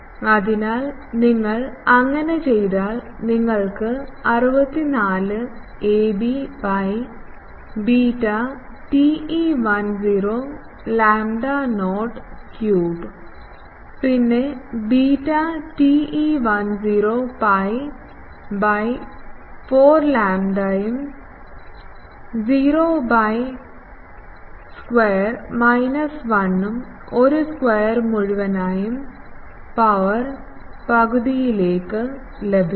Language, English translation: Malayalam, So, if you do that you will get 64 ab by beta TE 10 lambda not cube and beta TE 10 is pi by 4 by lambda not square minus 1 by a square whole to the power half